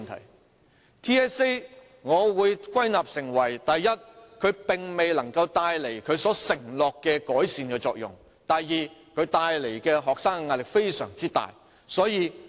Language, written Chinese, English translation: Cantonese, 我對 TSA 的總結是：第一，它未能帶來它承諾的改善作用；第二，它給學生帶來非常大的壓力。, My conclusion on TSA is first it fails to effect the improvement as promised . Second it brings tremendous pressure to bear on students